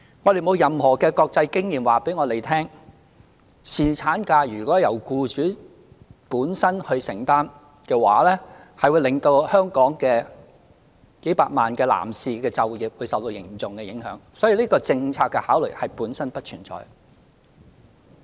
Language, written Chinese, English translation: Cantonese, 我們沒有任何國際經驗顯示，如果由僱主本身承擔侍產假薪酬的話，會令香港數百萬男士的就業受到嚴重的影響，所以這項政策的考慮本身不存在。, There is no international experience suggesting that if employers have to bear on their own the wages of paternity leave the employment of millions of male employees in Hong Kong will be seriously affected . Hence the relevant policy consideration does not exist